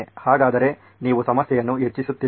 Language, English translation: Kannada, So is it aren’t you compounding the problem then